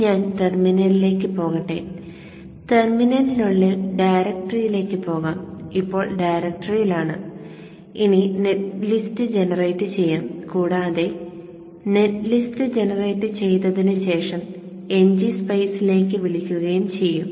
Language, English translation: Malayalam, So let me go to the terminal and inside the terminal I will go to the the okay so we are in the directory and we will generate the net list and also call NG Spice after we have generated the net list